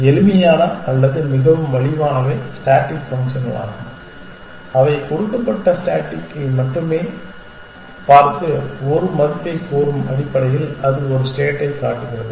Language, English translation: Tamil, The simplest or the most inexpensive ones are the static functions which only look at given state and tell you a value essentially it shows a state